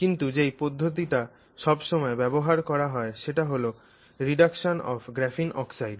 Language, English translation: Bengali, But the technique that is often actually used is this one which is called reduction of graphene oxide